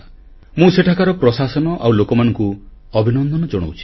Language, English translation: Odia, I congratulate the administration and the populace there